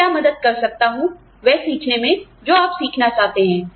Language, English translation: Hindi, What can I do, to help you learn what you want to learn